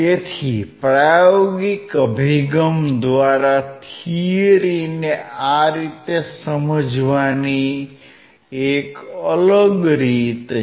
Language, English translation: Gujarati, So, this is a different way of understanding the experimental approach to the theory